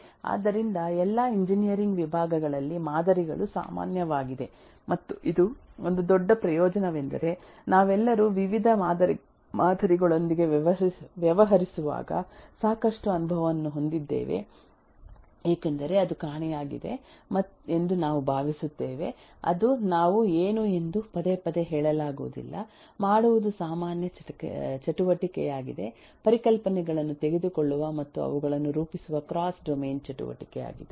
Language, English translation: Kannada, so, models are common in all engineering disciplines and this is a big advantage because we all have had a lot of experience with dealing with models of variety of kinds may be only thing is that is that was missing is we were not repeatedly told that what we are doing is a common activity, cross domain activity of taking concepts and modeling them, solving the problem in the domain of the model and bringing the result back to the real work